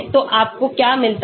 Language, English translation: Hindi, So what do you get